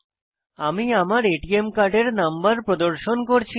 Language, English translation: Bengali, I am not going to show the number of the ATM card that i have